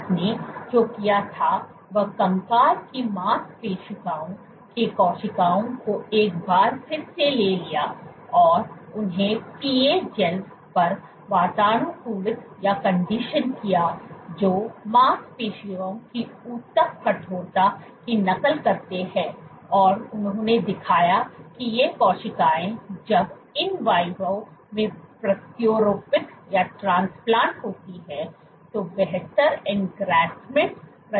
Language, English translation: Hindi, What she did was she took skeletal muscle cells once again, she conditioned them on PA gels which mimic the tissue stiffness of muscle and she showed that these cells when transplanted in vivo, exhibit better engraftment